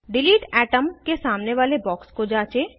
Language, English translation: Hindi, Check the box against delete atom